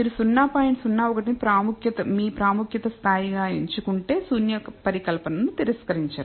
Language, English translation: Telugu, 01 as your level of significance you will not reject the null hypothesis